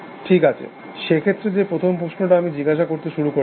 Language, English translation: Bengali, Well, I that is the first question I started asking you will